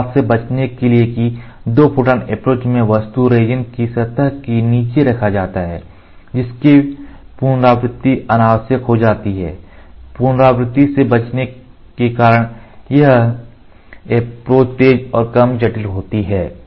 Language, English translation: Hindi, In order to avoid that in two photon approach the part is fabricated below the resin surface making recoating unnecessary, the approaches that avoid recoating are faster and less complicated